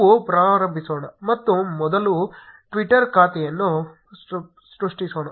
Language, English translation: Kannada, Let us get started and first create a twitter account